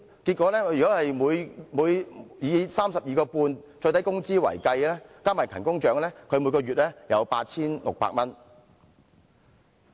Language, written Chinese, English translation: Cantonese, 如果以 32.5 元最低工資計算，加上勤工獎，她每月有 8,600 元。, Based on the statutory minimum wage of 32.5 per hour her monthly pay is about 8,600 together with good attendance bonus